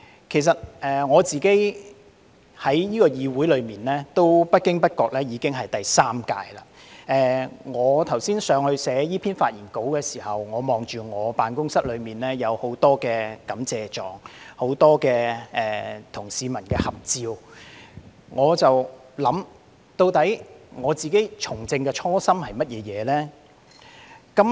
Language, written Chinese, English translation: Cantonese, 其實我在這個議會出任議員不經不覺已經是第三屆，我剛才在樓上撰寫這篇發言稿時，我看着我的辦公室內有很多感謝狀、很多與市民的合照，我便在想，究竟我自己從政的初心是甚麼？, Well I have been a Member of this Council already for a third term though quite unnoticeably . Just now when I was upstairs writing the script of this speech I saw in my office many certificates of commendation as well as many photographs that I have taken with members of the public . Then I thought to myself What was my original intention when I first engaged in politics?